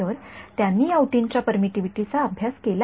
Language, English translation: Marathi, So, they have studied the permittivity of these tissues